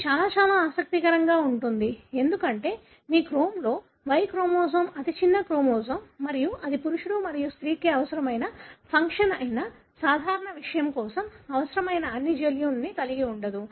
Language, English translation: Telugu, It is very, very interesting because the Y chromosome is the smallest chromosome in your cell and it doesn’t carry all the essential genes for a normal which is the function that are required for both male and female